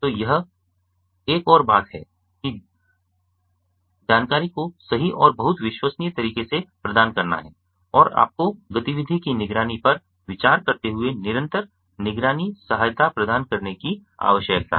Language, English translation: Hindi, so another thing is to provide information accurately and in a very reliable manner, and you need to provide a continuous monitoring support while considering activity monitor